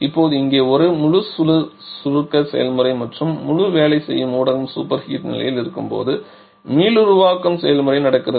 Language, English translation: Tamil, Now here this entire compression process and also the regeneration process is happening when the entire working medium is at the superheated condition